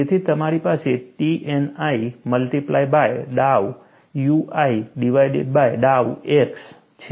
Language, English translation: Gujarati, So, I have T n i multiplied by dow u i divided by dow x